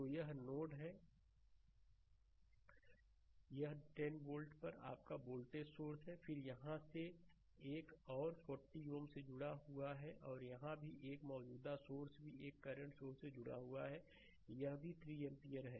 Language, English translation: Hindi, So, this is the node ah this is your voltage source at 10 ohm, then across here also another 40 ohm is connected, right and here also same thing a current source is also connected a current source it is also 3 ampere